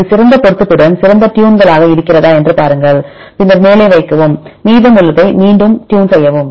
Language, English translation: Tamil, And see if this is fine tunes with the best match then keep the top then again the rest they tune again